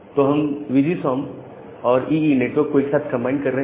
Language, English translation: Hindi, So, we are combining VGSOM and EE together